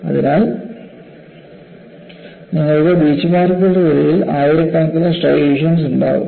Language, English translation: Malayalam, So, you will have many thousands of striations between the Beachmarks